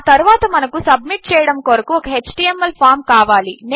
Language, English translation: Telugu, Next we need an HTML form that will submit